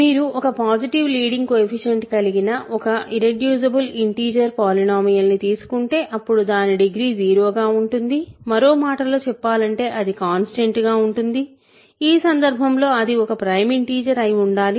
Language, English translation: Telugu, We showed that if you take an irreducible integer polynomial with positive leading coefficient then either its degree is 0, in other words it is constant in which case it must be a prime integer